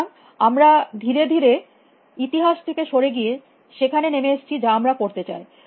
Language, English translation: Bengali, So, we are slowly coming towards moving away from history and coming to what we want to do